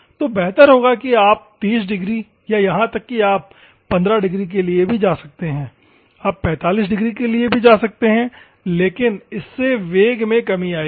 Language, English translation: Hindi, So, the better would be like 30 degrees or even you can go for 15 degrees, you can go for 45 degrees, but if this may lose some of the velocity that is carrying